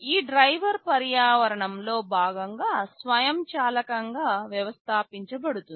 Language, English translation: Telugu, This driver is automatically installed as part of the environment